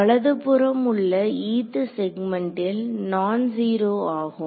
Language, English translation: Tamil, The term on the right hand side is non zero in the eth segment